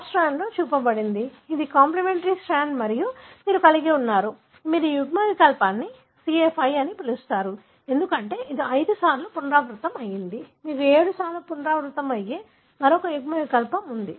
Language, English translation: Telugu, What is shown on the top strand, this is a complimentary strand and you have, you call this allele as CA5, because it has got 5 times repeated, you have another allele that is 7 times repeated